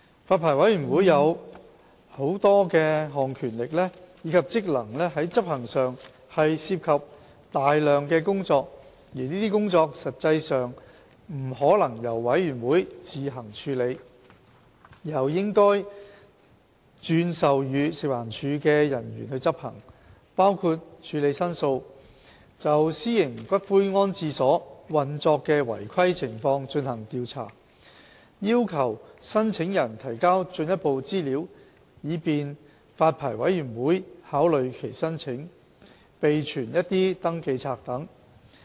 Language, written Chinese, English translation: Cantonese, 發牌委員會有多項權力及職能在執行上涉及大量工作，而這些工作實際上不可能由發牌委員會自行處理，而是應該轉授予食環署的人員執行，包括處理申訴、就私營骨灰安置所運作的違規情況進行調查、要求申請人提交進一步資料以便發牌委員會考慮其申請，以及備存一些登記冊等。, The exercise of many powers and functions by the Licensing Board involves a lot of work which is not practically feasible for the Licensing Board to carry out by itself and should be delegated to various officers of the Food and Environmental Hygiene Department including handling of complaints conducting investigations into irregularities of the operation of columbaria seeking information from applicants to facilitate the consideration of applications by the Licensing Board keeping a register etc